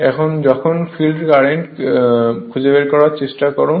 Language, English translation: Bengali, So, when you try to find out what is field current